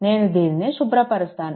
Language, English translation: Telugu, So, let me clear it